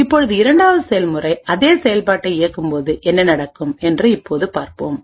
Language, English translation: Tamil, Now let us see what would happen when the 2nd process executes the exact same function